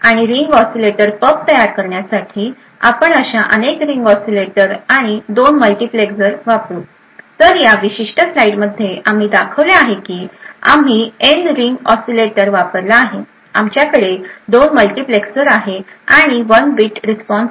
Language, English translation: Marathi, And in order to build a ring oscillator pub, we would use many such Ring Oscillators and 2 multiplexers, So, in this particular slide we have shown that we have used N Ring Oscillators, we have 2 multiplexers and a counter and 1 bit response